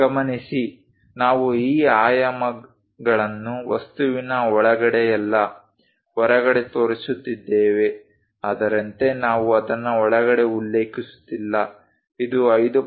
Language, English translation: Kannada, Note that, we are showing these dimensions outside of the object outside not inside something like we are not mentioning it something like this is 5